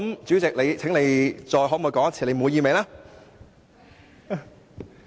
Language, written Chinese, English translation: Cantonese, 主席，你現在可否回答你滿意嗎？, Chairman can you tell me now if you are satisfied?